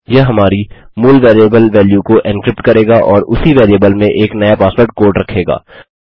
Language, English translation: Hindi, This will encrypt our original variable value and store a new password code in the same variable